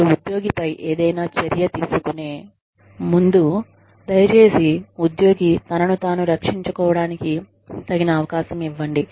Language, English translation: Telugu, Before you take any action, against the employee, please give the employee a fair chance, to defend himself or herself